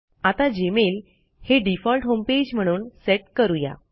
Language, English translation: Marathi, Let us learn how to set Gmail as our default home page